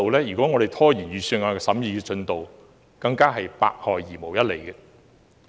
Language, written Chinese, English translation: Cantonese, 如果我們拖延預算案的審議進度，是百害而無一利的。, Procrastinating the scrutiny of the Budget is doing nothing but harm